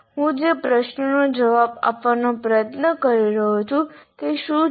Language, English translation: Gujarati, So what is the question I am trying to answer